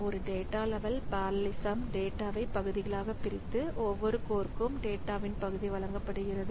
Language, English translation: Tamil, So in a data level parallelism, so we have got this the data is divided into portions and each core is given the part of the data